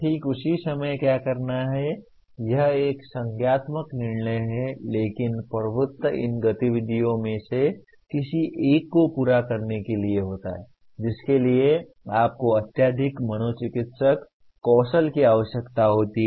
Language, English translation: Hindi, There is exactly what to do at what time is a cognitive decision but the dominance is to perform any of these activities you require extreme psychomotor skills